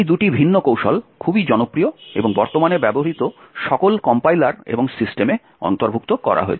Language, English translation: Bengali, Both these different techniques are very popular and have been incorporated in all compilers and systems that are in use today